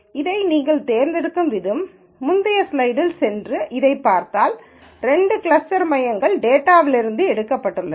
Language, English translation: Tamil, The way we have chosen this, if you go back to the previous slide and look at this, the two cluster centres have been picked from the data itself